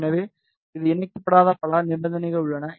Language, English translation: Tamil, So, there are many conditions which it has not incorporated